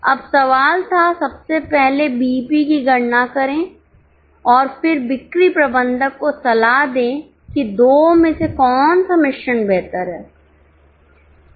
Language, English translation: Hindi, Now, the question was, firstly to calculate the BEPs and then advise sales manager as to which of the two mix is better